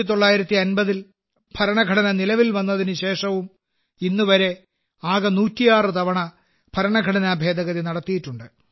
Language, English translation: Malayalam, Even after the Constitution came into force in 1950, till this day, a total of 106 Amendments have been carried out in the Constitution